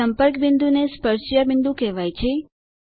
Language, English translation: Gujarati, The point of contact is called point of tangency